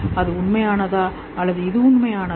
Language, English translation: Tamil, Is that real or is this real